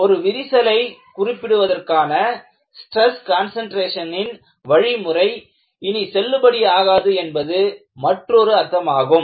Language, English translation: Tamil, Other meaning is the methodology of stress concentration to ascribe to a crack, no longer is valid